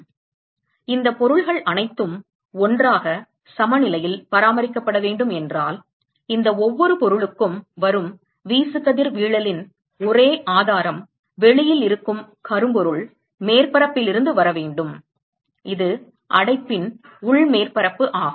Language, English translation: Tamil, And therefore, all of these objects together if they have to be maintained at equilibrium then the only source of irradiation that comes to each of these objects have to be from the blackbody surface which is outside, which is the inside surface of the enclosure